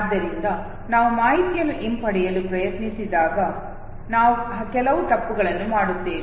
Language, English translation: Kannada, And therefore when we try to retrieve the information we commit certain error